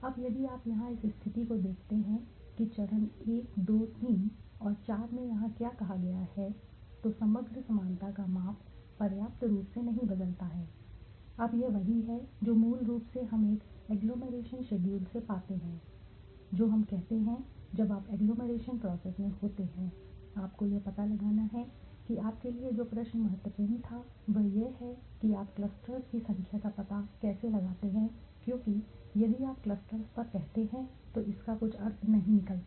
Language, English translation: Hindi, Now if you look at here in this position what is says here in steps 1 2 3 and 4 right the overall similarity measure does not change substantially now this is what is basically we find some from an agglomeration schedule we say so when you the in agglomeration process how do you find out the question that was important to you was how do you find the number of clusters because if you say on clusters it does not make you sense